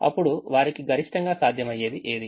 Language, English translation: Telugu, then what is maximum possible for them